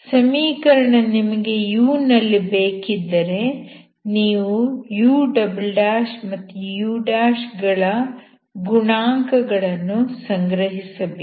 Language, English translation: Kannada, So you want the equation in u, so you collect the coefficients of u' ' and u'